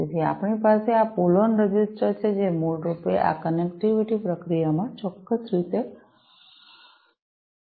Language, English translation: Gujarati, So, we have these pull on registers, which basically help in this connectivity process in a certain way